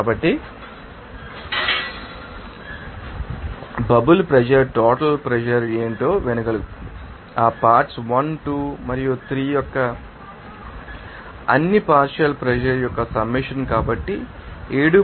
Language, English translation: Telugu, So, the bubble pressure will be able to hear what is the total pressure will be there that will be able to you know summation of all partial pressure of that components 1 2 and 3, so, to becoming a 7